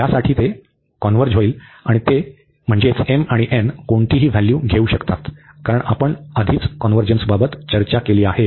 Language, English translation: Marathi, And any value they can take, because we have already discussed the convergence